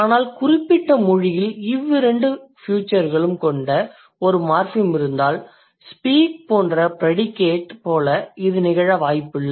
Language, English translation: Tamil, But if a particular language has one morphem which has both the features, it is very unlikely to occur with a predicate like speak